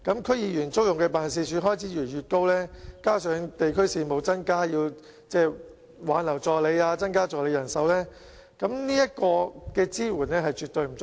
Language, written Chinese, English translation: Cantonese, 區議員租用辦事處的開支越來越高，加上地區事務增加，需要挽留助理和增加助理人手，在這方面的支援絕對不足夠。, DC members have to pay increasingly more in office rental . Coupled with the need to retain their assistants and even recruit more assistants as they have to deal with more district affairs the support provided to them in this respect is absolutely inadequate